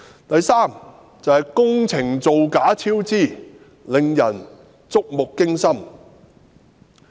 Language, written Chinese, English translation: Cantonese, 第三，是工程造假及超支，令人觸目驚心。, Third frauds and cost overruns were involved in the construction works which is terrifying and shocking